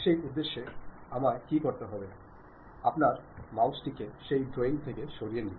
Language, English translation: Bengali, For that purpose, what I have to do, move your mouse out of that drawing